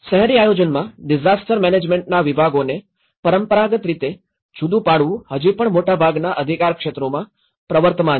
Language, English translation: Gujarati, Traditional separation of the departments of disaster management in urban planning is still prevalent in most jurisdictions